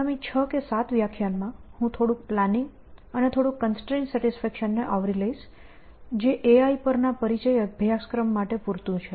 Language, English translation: Gujarati, So, in the next 6 or 7 lectures, I will cover little bit of planning and little bit constraint satisfaction, which is I think enough for a introductory course on A I